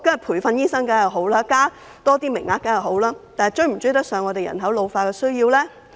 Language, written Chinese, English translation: Cantonese, 培訓醫生當然是好事，增加多些名額亦然，但能否追得上香港人口老化的需要呢？, Training doctors is certainly a good thing to do . So is increasing the number of places . However can such an approach catch up with the needs arising from population ageing in Hong Kong?